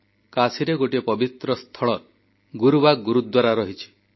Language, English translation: Odia, There is a holy place in Kashi named 'Gurubagh Gurudwara'